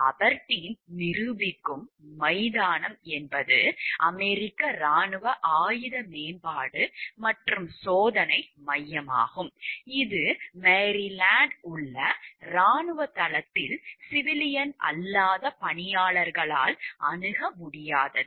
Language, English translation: Tamil, The Aberdeen proving ground is a U S army weapons development and test center located on a military base in Maryland with no access by civilian non employees